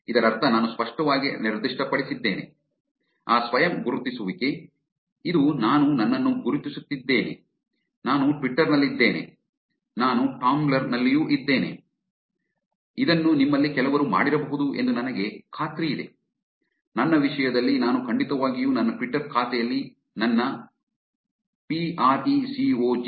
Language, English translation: Kannada, Which means I have explicitly specified that self identification, which is I am identifying myself that I am this in Twitter and I am also this in Tumblr, which I am sure some of you may have done